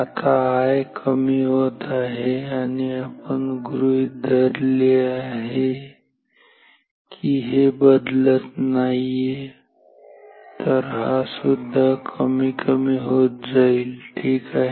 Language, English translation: Marathi, Now, I is going down this we have assume not changing, so this will also go down ok